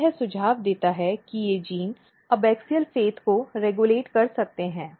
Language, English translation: Hindi, So, this suggest that these genes might be regulating abaxial fate